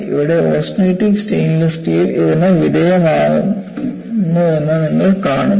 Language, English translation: Malayalam, And here again, you find austenitic stainless steel is susceptible to this